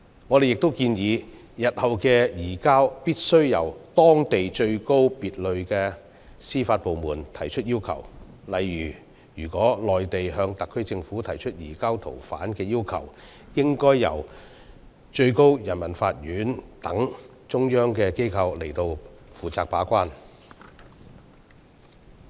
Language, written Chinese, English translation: Cantonese, 我們亦建議，日後的移交要求必須由當地最高級別的司法部門提出，例如：如內地向特區政府提出移交逃犯的要求，應由最高人民法院等中央機構負責把關。, We have also recommended that future requests for surrender be made by the highest - level local judicial authorities of the requesting jurisdiction . For example requests by the Mainland Government to the SAR Government for the surrender of fugitive offenders should be cleared by such central authorities as the Supreme Peoples Court in advance